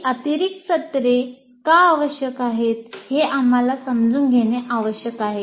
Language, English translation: Marathi, So we need to understand why these additional sessions are required